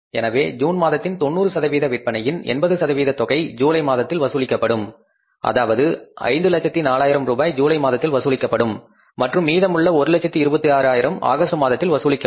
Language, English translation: Tamil, So, mean for the June, 80% of the 90% of sales will be collected that is 500,000 rupees in the month of July for the sales which we made in the month of June and remaining 126,000 we are going to collect in the month of August